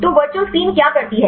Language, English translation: Hindi, So, what the virtual screen does